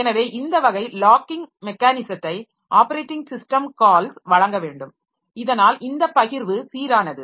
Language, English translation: Tamil, So, this type of locking mechanism must be provided by the operating system, system calls so that this sharing becomes consistent